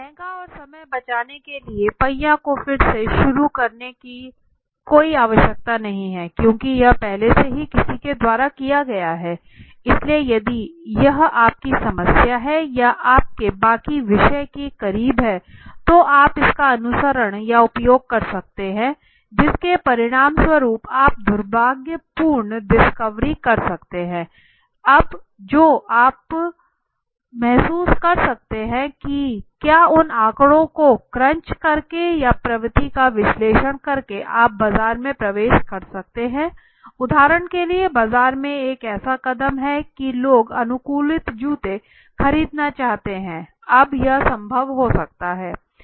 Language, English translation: Hindi, Expensive and time saving no need to reinvent the wheel because already it has been done by somebody so if it is close to your problem at hand or your rest topic so you can follow that you can use it you can result in unfortunate discoveries, now something that can you can realize whether even getting into the market by crunching those data or analyzing the trend for example is there a move in the market the people want to buy customize shoes now yes could be possible now it has been seen